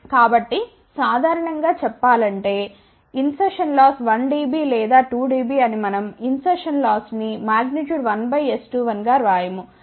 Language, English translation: Telugu, So, generally speaking we also say insertion loss is 1 dB or 2 Db, we do not write minus 1 dB or minus 2 dB